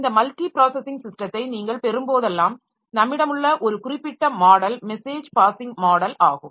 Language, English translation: Tamil, Like whenever you have got this multi processing system, then one particular model that we have is the message passing model